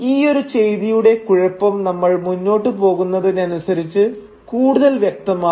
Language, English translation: Malayalam, Now the implication of this action will become clearer as we go along